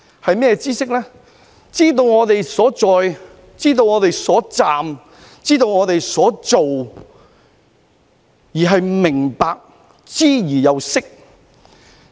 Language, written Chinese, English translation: Cantonese, 知識就是知道我們所在，知道我們所站，知道我們所做，而且明白，知而又識。, Knowledge tells us who we are where we are and what we do . We will not only become reasonable but also knowledgeable